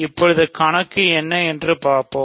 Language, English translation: Tamil, So, let us see what is the number now